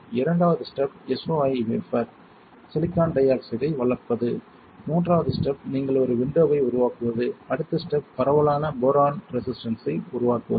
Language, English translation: Tamil, Second step would be you grow silicon dioxide on the SOI wafer, third step is you create a window, forth step is to create diffuse boron resistor